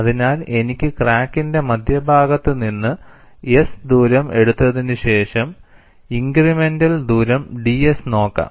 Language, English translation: Malayalam, So, I can take a distance s from the center of the crack, and look at incremental distance ds